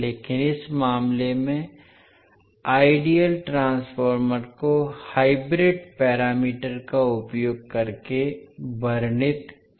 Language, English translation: Hindi, But in this case the ideal transformer can be described using hybrid parameters